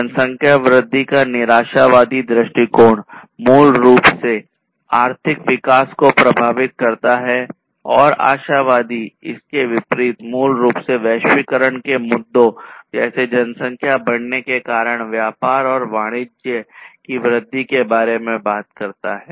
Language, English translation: Hindi, So, the pessimistic view of population growth basically effects the economic growth and the optimistic view basically on the contrary it talks about increase of the globalization issues such as trade and commerce due to the growth of population